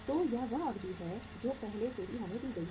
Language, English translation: Hindi, So that is the duration which is already given to us